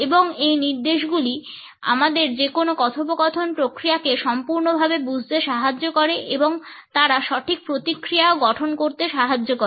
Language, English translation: Bengali, And these indications used to complete our understanding of any communication process and they also helped us in generating a proper feedback